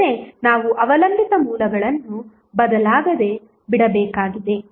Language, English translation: Kannada, But, we have to leave the dependent sources unchanged